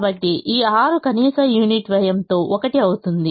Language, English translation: Telugu, so this six becomes the one with the minimum unit cost